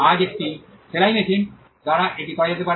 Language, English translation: Bengali, The same could be done today by a sewing machine